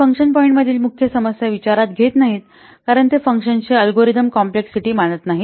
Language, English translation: Marathi, It does not consider one of the major problem with function point is that it does not consider algorithm complexity of a function